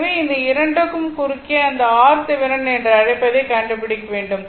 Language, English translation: Tamil, So, across these 2 you have to find out what is your what you call that your R Thevenin